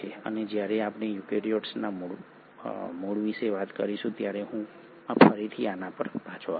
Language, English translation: Gujarati, And I will come back to this again when we talk about origin of eukaryotes